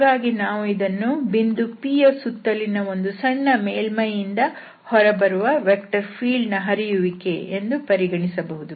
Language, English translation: Kannada, So, it can be considered as the flux of the vector field out of a small close surface around a point P